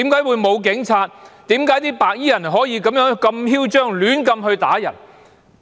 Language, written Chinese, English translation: Cantonese, 為何白衣人可以如此囂張地胡亂打人呢？, Why could those white - clad gangsters launch arbitrary attack on civilians brazenly?